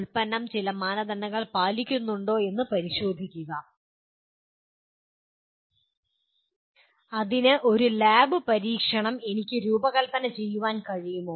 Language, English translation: Malayalam, Can I design a lab experiment where the testing is done to whether the product meets the some certain standard